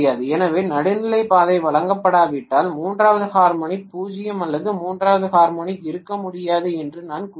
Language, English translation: Tamil, So I would say if neutral path is not provided, then third harmonic is 0 or third harmonic cannot exist